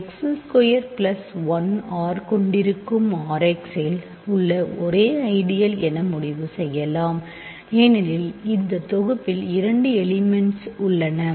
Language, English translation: Tamil, So, we can conclude the only ideals in R x that contain x square plus 1 R there are only two ideals because this set has two elements